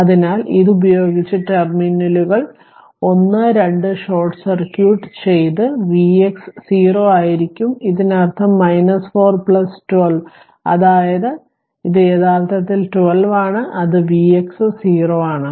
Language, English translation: Malayalam, So, with this if you your as the terminals 1 2 short circuited V x is 0, this means your 4 plus 12 ohm that is 4 plus 12 ohm is equal to it is actually that is 12 is equal to it is just 1 minute, it is your V x is 0